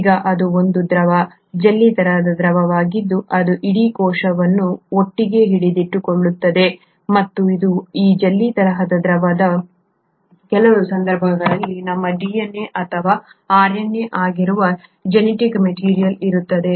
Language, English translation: Kannada, Now this is a fluid, a jelly like fluid which holds the entire cell together and it is in this jellylike fluid, the genetic material which is our DNA or RNA in some cases is present